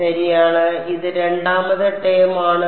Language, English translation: Malayalam, Right one, this is a second term ok